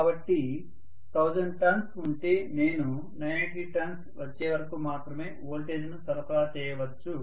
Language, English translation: Telugu, I may supply the voltage until maybe, you know if there are 1000 turns I may actually supply the voltage only until 980 turns